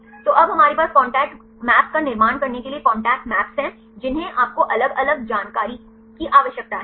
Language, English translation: Hindi, So, now we have the contact maps to construct the contact map what are the different information do you need